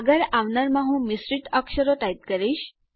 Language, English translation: Gujarati, The next one I will just type a mix of characters